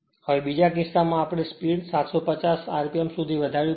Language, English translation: Gujarati, Now, in the second case, we have to raise the speed to 750 rpm